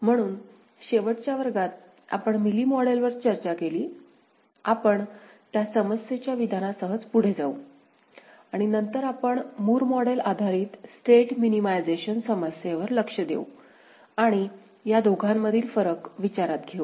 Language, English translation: Marathi, So, in the last class, we discussed Mealy model we shall continue with that problem statement only and later on, we shall look at a Moore model based State Minimization problem and we shall consider the difference between these two